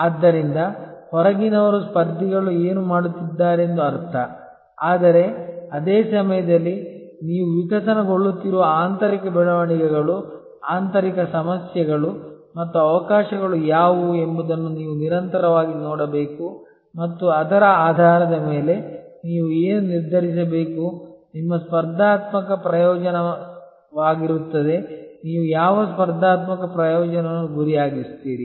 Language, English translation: Kannada, So, outside means what the competitors are doing, but at the same time you have to constantly look at what are the internal developments, internal problems and opportunities that are evolving and based on that you have to determine that what will be your competitive advantage, what competitive advantage you will target